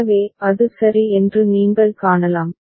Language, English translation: Tamil, So, this is what you can see over here